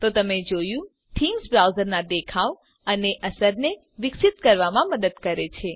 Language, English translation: Gujarati, So you see, Themes help to improve the look and feel of the browser